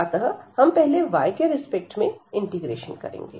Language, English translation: Hindi, So, we will integrate this the inner one with respect to y